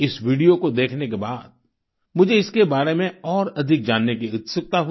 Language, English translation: Hindi, After watching this video, I was curious to know more about it